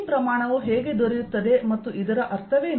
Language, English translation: Kannada, how does this quantity come about and what does it mean